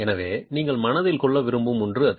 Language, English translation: Tamil, So, that is something you might want to keep in mind